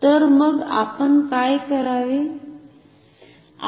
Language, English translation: Marathi, So, what do we have to do